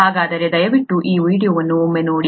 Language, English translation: Kannada, So please take a look at this video